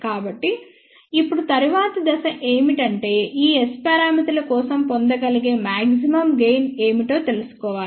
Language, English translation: Telugu, So, now the next stub is we need to find out what is the maximum possible gain which can be obtained for these S parameters